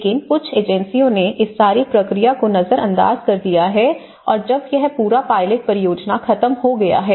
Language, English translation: Hindi, And but the agencies some have they have ignored all this process and when this whole pilot project has been finished